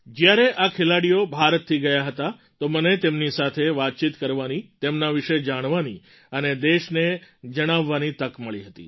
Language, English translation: Gujarati, " When these sportspersons had departed from India, I had the opportunity of chatting with them, knowing about them and conveying it to the country